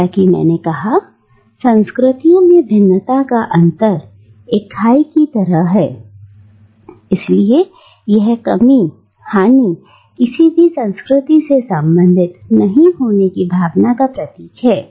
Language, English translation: Hindi, Again, as I said, the interstices, the margin, the gap between the culture, it is a gap therefore it signifies a lack, a loss, a sense of not belonging to any of the cultures